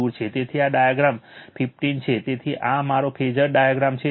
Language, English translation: Gujarati, So, this is figure 15, so this is my phasor diagram right